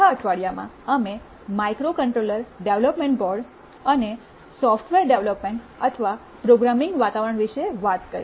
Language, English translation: Gujarati, In the 4th week, we talked about microcontroller development boards and the software development or programming environments